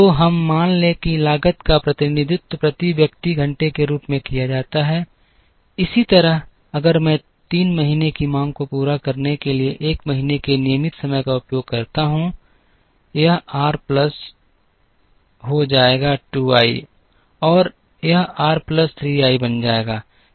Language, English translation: Hindi, So, let us assume the cost are suitably represented as, so much per man hour, similarly if I use the 1st month’s regular time to meet the 3rd month’s demand it will become r plus 2 i and this will become r plus 3 i